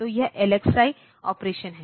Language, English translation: Hindi, So, that is the LXI operation